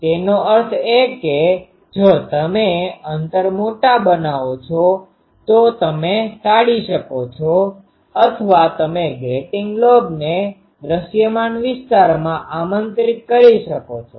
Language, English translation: Gujarati, So, that is done by the spacing so that means if you make spacing large you can avoid or you can invite grating lobes in to the visible zone